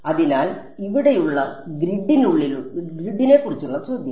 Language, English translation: Malayalam, So, question about the grid over here